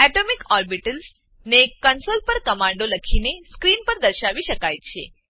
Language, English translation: Gujarati, Atomic orbitals can be displayed on screen by writing commands on the console